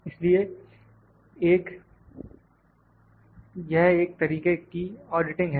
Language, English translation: Hindi, So, it is kind of an audit